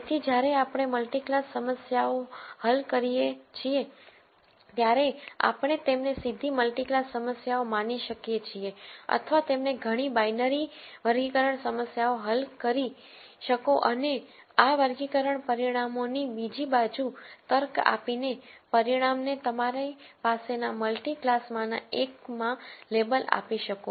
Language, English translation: Gujarati, So, when we solve multi class problems, we can treat them directly as multi class problems or you could solve many binary classification problems and come up with a logic on the other side of these classification results to label the resultant to one of the multiple classes that you have